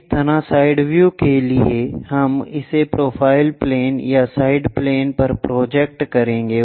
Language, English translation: Hindi, Similarly, for side view we will projected it on to profile plane or side plane